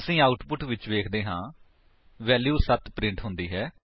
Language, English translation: Punjabi, We see in the output, the value 7 is printed